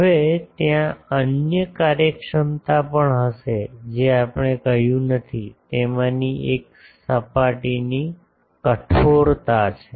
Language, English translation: Gujarati, Now, there will be other efficiencies also which we have not said, one of that is the surface roughness